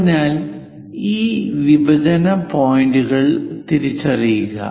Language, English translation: Malayalam, So, identify these intersection points